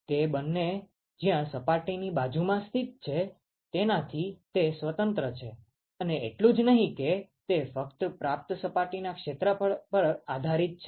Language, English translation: Gujarati, It is independent of where these two are located along the surface and not just that it depends only on the receiving surface area